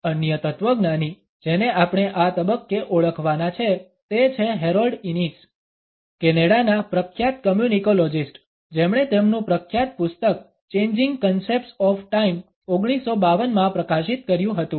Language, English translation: Gujarati, Another philosopher whom we have to acknowledge at this stage is Harold Innis, the famous Canadian communicologist who published his famous book Changing Concepts of Time in 1952